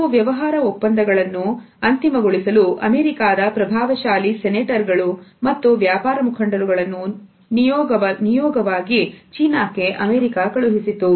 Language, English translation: Kannada, It so, happened that a high powered American delegation which consisted of their senators and business leaders was sent to China to finalize certain business deals